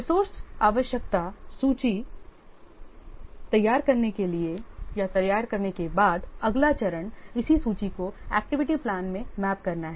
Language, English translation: Hindi, After preparing the resource requirement list, the next stage is to map this list onto the activity plan